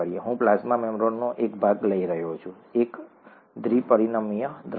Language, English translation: Gujarati, So I am taking a part of the plasma membrane, a two dimensional view